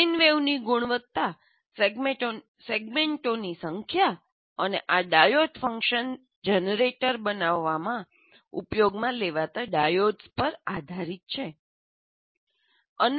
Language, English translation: Gujarati, And if the quality of the sine wave that you produce will depend on the number of segments and the diodes that you use in creating this diode function generator